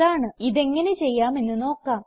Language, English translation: Malayalam, Let us understand how all this can be done